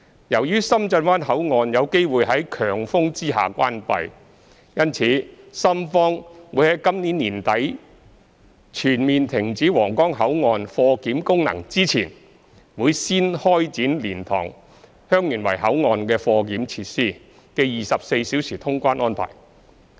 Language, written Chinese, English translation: Cantonese, 由於深圳灣口岸有機會於強風下關閉，因此深方在今年年底全面停止皇崗口岸貨檢功能之前，會準備先開展蓮塘/香園圍口岸的貨檢設施的24小時通關。, As Shenzhen Bay Port may have to be closed under strong winds the Shenzhen side will prepare for the commencement of 24 - hour clearance services at the cargo clearance facility of LiantangHeung Yuen Wai Port before completely ceasing the cargo clearance function of Huanggang Port at the end of this year